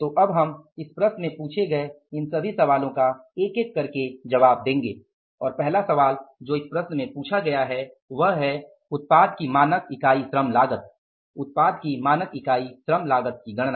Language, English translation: Hindi, So now we will answer all these questions asked in this problem one by one and the first question is which is asked in this problem is the standard unit labor cost of the product to compute the standard unit labor cost of the product